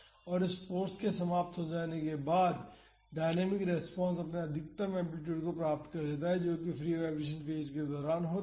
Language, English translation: Hindi, And, the dynamic response attains its maximum amplitude after this force ends that is during the free vibration phase